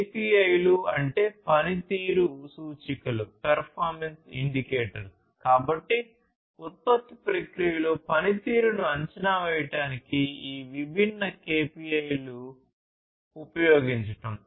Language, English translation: Telugu, KPIs means key performance indicators so, use of these different KPIs to assess the performance in the production process